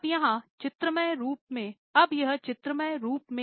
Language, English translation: Hindi, Now here in the graphical form